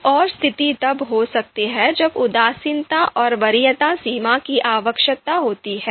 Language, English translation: Hindi, Another situation could be when indifference and preference threshold are required